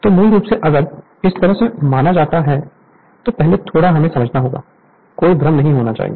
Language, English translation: Hindi, So, basically if you if you consider like this, first little bit we have to understand; there should not be any confusion